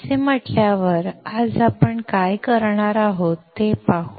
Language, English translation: Marathi, Having said that, let us see what we are going to do today